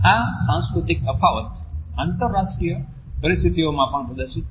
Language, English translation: Gujarati, These cultural differences are also exhibited in international situations